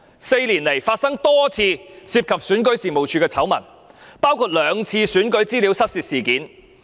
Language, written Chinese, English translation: Cantonese, 四年來發生多次涉及選舉事務處的醜聞，包括兩次選舉資料失竊事件。, Over the past four years REO has been involved in a number of scandals including two instances of electoral data theft